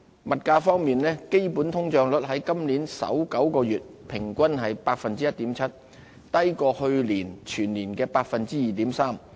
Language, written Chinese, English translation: Cantonese, 物價方面，基本通脹率在今年首9個月平均為 1.7%， 低於去年全年的 2.3%。, In terms of prices underlying inflation in the first nine months of the year averaged 1.7 % lower than the annual rate of 2.3 % in last year